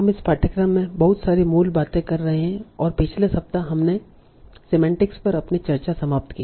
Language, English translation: Hindi, So we have been doing a lot of basics in this course and last week we finished our discussions on semantics